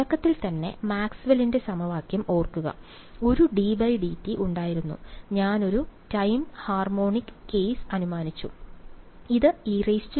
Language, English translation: Malayalam, In the very beginning, there was a remember Maxwell’s equation; there was a d by d t and I assumed a time harmonic case